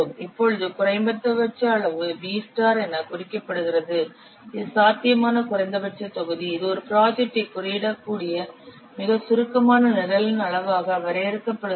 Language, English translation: Tamil, The potential minimum volume which is denoted as V star, it is defined as the volume of the most succinct program in which a program can be coded